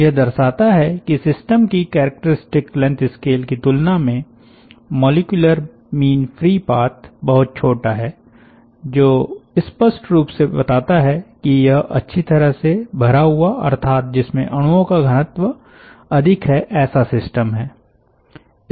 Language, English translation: Hindi, it indicates that the mean free path is much smaller than the characteristic length scale of the system, which implicitly tells that it is a sufficiently densely packed system